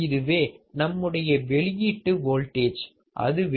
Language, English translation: Tamil, This is my output voltage, which is 1 plus R2 by R1